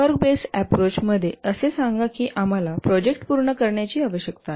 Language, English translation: Marathi, In the work based approach, let's say we need to complete a project